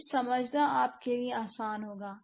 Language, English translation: Hindi, This would be easier for you to understand